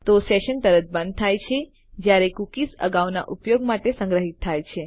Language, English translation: Gujarati, So sessions are killed straight away however cookies are stored for later use